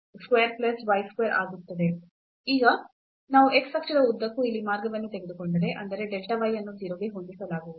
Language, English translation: Kannada, And now if we take path here along the x axis; that means, the delta y this y will be set to 0